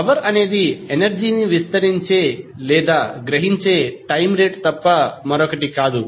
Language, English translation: Telugu, Power is nothing but time rate of expanding or absorbing the energy